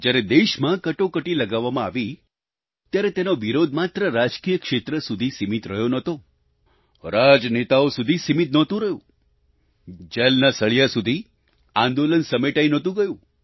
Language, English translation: Gujarati, When Emergency was imposed on the country, resistance against it was not limited to the political arena or politicians; the movement was not curtailed to the confines of prison cells